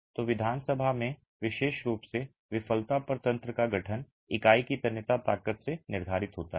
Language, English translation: Hindi, So, the mechanism formation in the assembly, particularly at failure, is determined by what is the tensile strength of the unit